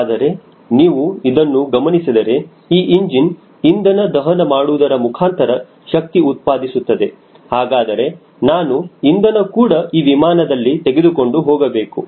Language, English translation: Kannada, but you see that if this is a engine which is driven by fuel combustion engine, then i need to have fuel carried in this airplane, so i need to have a fuel tank